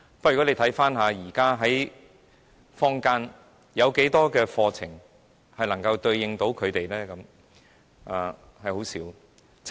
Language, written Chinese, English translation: Cantonese, 不過，大家看看，現時坊間有多少課程能夠對應他們的需要呢？, However let us see how many courses in the open market can meet their needs?